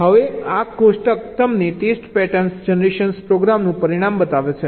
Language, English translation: Gujarati, now this table shows you the result of a test pattern generation program